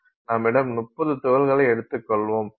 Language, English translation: Tamil, Let's say this is 30 particles